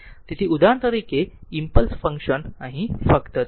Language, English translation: Gujarati, So, for example, an impulse functions say here just here